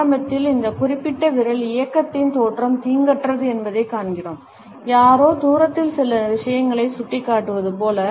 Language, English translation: Tamil, Initially, we find that the origin of this particular finger movement is innocuous, as if somebody is pointing at certain things in a distance